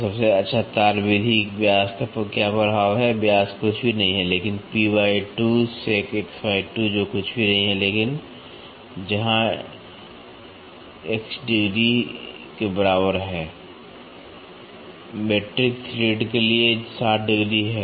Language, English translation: Hindi, So, what is the effect to diam best wire method diameter, diameter is nothing, but P by 2 into secant x by 2 which is nothing, but where x where x is equal to 60 degrees, 60 degrees for metric thread